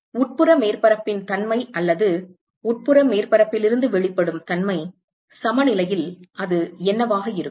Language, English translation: Tamil, Nature of the inside surface or let us say, nature of emission from the inside surface, what will it be, at equilibrium